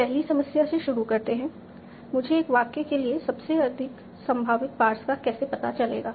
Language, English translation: Hindi, So starting with the first problem, how do we find out the most likely parse for a sentence